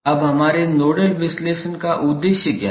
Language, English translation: Hindi, Now, what is the overall objective of our nodal analysis